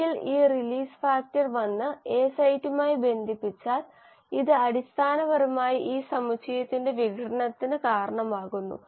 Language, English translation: Malayalam, And once this release factor comes and binds to the A site, it basically causes the dissociation of this entire complex